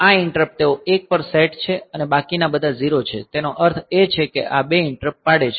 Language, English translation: Gujarati, So, this interrupt and this interrupt, they are set to 1 and rest are all 0 so; that means, that these two interrupts